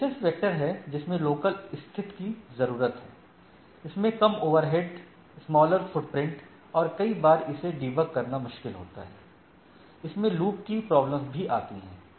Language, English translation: Hindi, One is distance vector, requires only local state, less overheads, smaller footprint, it is sometimes difficult to debug, can suffer from loops, we will look at it